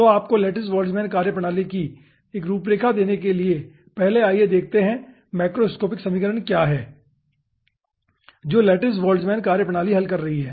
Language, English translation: Hindi, so to give you 1 outline of lattice boltzmann methodology, first let us see that what are the macroscopic equations lattice boltzmann methodology is solving